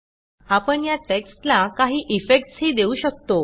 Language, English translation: Marathi, You can even add effects to this text